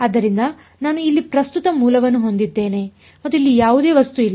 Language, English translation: Kannada, So, I have the current source over here and there is no object over here